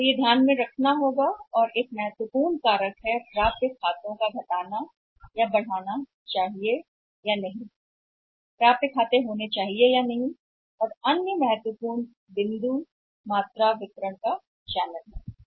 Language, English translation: Hindi, So, that has to be borne in mind and one important reason that to increase or decrease accounts receivables whether the accounts receivable this should be there or not that also depends upon the another important point is that is the perfect channel of distribution is important question here